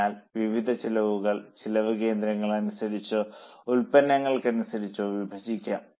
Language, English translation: Malayalam, So, different costs can be divided as per cost centres or as per products